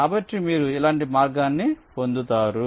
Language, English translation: Telugu, so you get a path like this